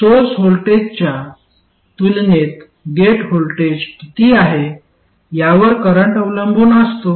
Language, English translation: Marathi, So the gate voltage itself is the gate source voltage